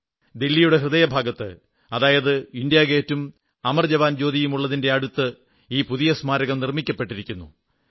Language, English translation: Malayalam, This new memorial has been instituted in the heart of Delhi, in close vicinity of India Gate and Amar JawanJyoti